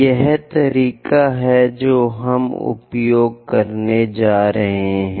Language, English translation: Hindi, This is the convention what we are going to use